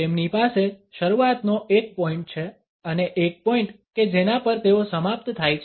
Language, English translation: Gujarati, They have a point of beginning and a point at which they end